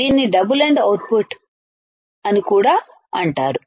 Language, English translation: Telugu, It is also called double ended output ok